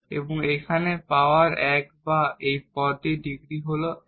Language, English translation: Bengali, And the power here is 1 or the degree of this term is 1